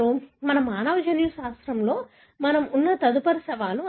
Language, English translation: Telugu, So, that is the next challenge that we have in human genetics